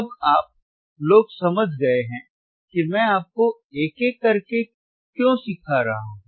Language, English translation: Hindi, Now, you guys understand why I am teaching you one by one